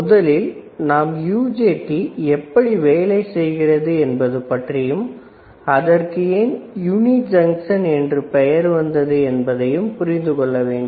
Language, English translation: Tamil, So, you have to understand how UJT works and hence its name uni junction